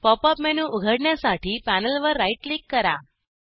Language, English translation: Marathi, Now, right click on the panel, to open the Pop up menu